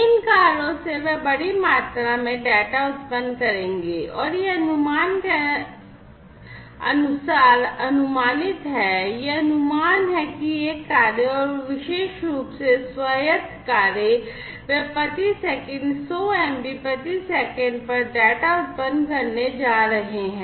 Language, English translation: Hindi, So, these cars they will generate large volumes of data and it is estimated as per one of the estimates, it is estimated that these cars and particularly the autonomous cars; they are going to generate data at 100 MB per second